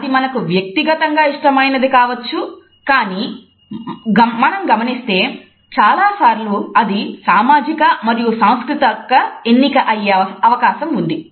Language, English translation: Telugu, It can be a personal choice, but more often now we find that it has become a social and cultural choice